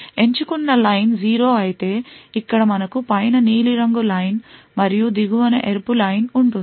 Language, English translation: Telugu, If the select line is 0 then we have the blue line on top over here and the red line at the bottom